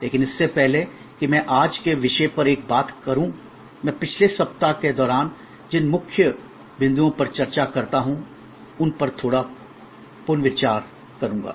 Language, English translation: Hindi, But, before I get one to today’s topic, I will do a little recap of what are the main points that we discussed during the last week